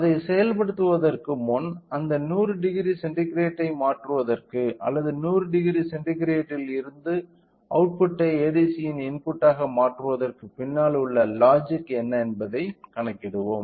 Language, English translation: Tamil, So, before implementing it let us calculate what is the logic behind in order to convert that 100 degree centigrade or the output from the 100 degree centigrade to the you know to the input of ADC